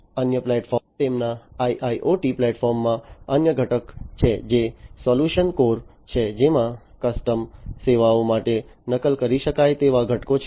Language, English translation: Gujarati, The other platform the other component that they have in their IIoT platform is the solution core, which has replicable components for custom services